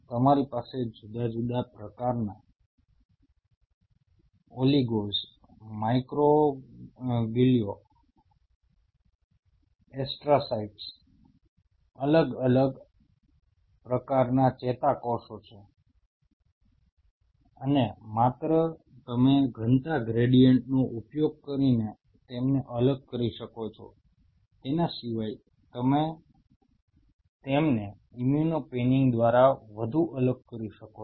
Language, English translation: Gujarati, You have different kind of neurons different all oligos microglia astrocytes and not only you can separate them out using density gradient, you can separate them out further separation can be achieved by virtue of which they are immuno panning